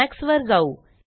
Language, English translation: Marathi, Let us go to emacs